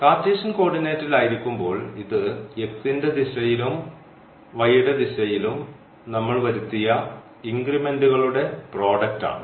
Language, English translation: Malayalam, While in the Cartesian coordinate, it was simply the product of the increments we have made in the direction of x and in the direction of y